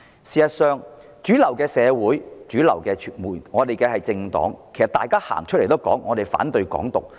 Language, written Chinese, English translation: Cantonese, 事實上，主流社會及主流政黨均公開表示反對"港獨"。, In fact mainstream society and mainstream political parties have already publicly indicated their opposition to Hong Kong independence